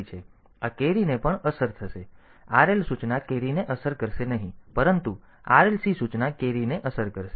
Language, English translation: Gujarati, So, this carry will also get affected the RL instruction will not affect the carry, but RLC instruction will affect the carry